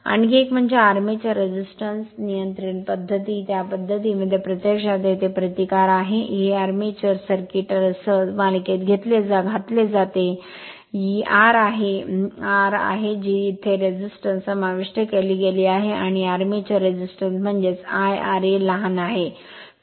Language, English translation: Marathi, Another is the that armature resistors resistance control method, in this method resistance actually here, it is inserted in series with the armature circuit with this is your R this is your R that resistance is inserted here and armature resistance I mean, it is your R a small r a right and this is the field current here nothing is there